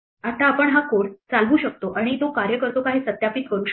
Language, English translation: Marathi, Now we can run this code and verify that it works